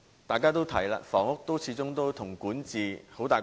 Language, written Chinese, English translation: Cantonese, 大家都提到，房屋始終與管治關係密切。, As mentioned by Members housing is closely connected to governance